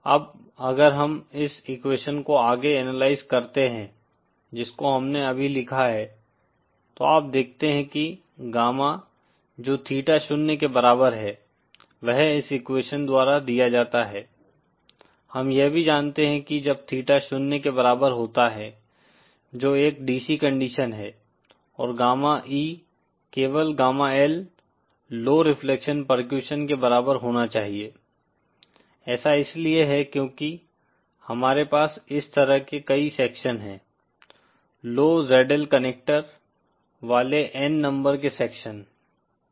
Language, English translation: Hindi, Now if we further analyze this equation that we just wrote down you see that gamma is what theta is equal to zero is given by this equation, we also know that when theta is equal to zero that is a DC condition and gamma E should be simply equal to gamma L the low reflection percussion